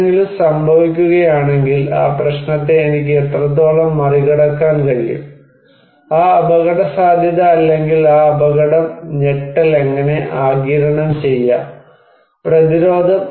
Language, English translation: Malayalam, If something will happen, what extent I can overcome that problem, that risk or that danger and how I can absorb the shock, the resist